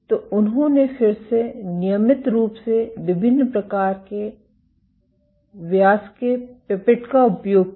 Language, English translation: Hindi, So, they then did these routinely using pipettes of variant diameters